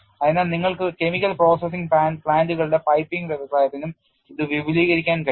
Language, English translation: Malayalam, So, you can also extend it for piping industry where you have chemical processing plants and so on and so forth